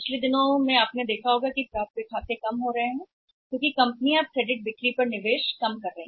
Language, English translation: Hindi, In the in the recent past if you see that the accounts receivables are going down because companies are now say minimising the investment in the credit sales